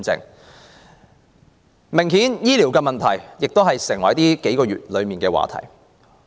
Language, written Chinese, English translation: Cantonese, 很明顯，醫療問題已成為近數月的熱門話題。, Healthcare problems have obviously been a hot topic in recent months